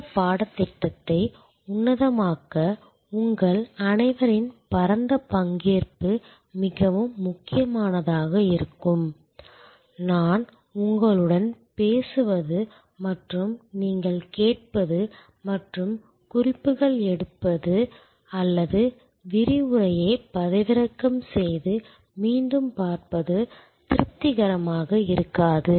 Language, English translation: Tamil, Wider participation from all of you would be very important to make this course superlative, just my talking to you and your listening and taking notes or downloading the lecture and seeing it again will not be at all satisfactory